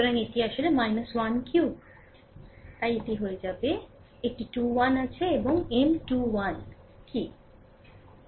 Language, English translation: Bengali, So, this is actually minus 1 cube so, it will become minus a 2 1 is there, and what is M 2 1